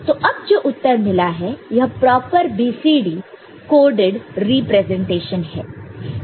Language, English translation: Hindi, So, this is now a proper BCD coded representation of the result